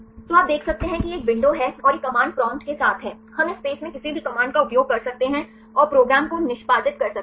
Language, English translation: Hindi, So, you can see this is one window and this is with a command prompt, we can use any command right in this space and execute the program